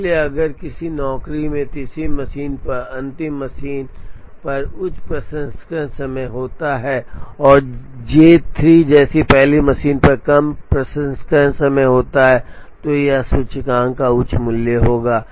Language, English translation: Hindi, So, if a job has a higher processing time on the third machine or on the last machine, and a lower processing time on the first machine like J 3 it will have a higher value of the index